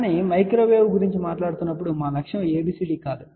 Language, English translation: Telugu, But our objective is not ABCD when we are talking about microwave